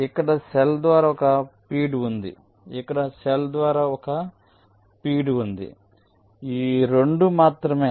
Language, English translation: Telugu, so there was one feed through cell here, one feed through cell, here only two